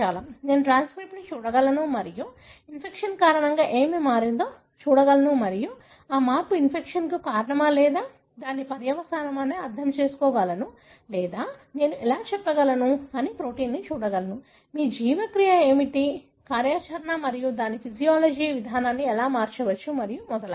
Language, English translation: Telugu, I can look into the transcript and see what has changed because of the infection and then decipher whether that change is a cause for the infection or a consequence of it or I can look into the proteome which again would tell you how, what is your metabolic activity and how that may change the way my physiology is and so on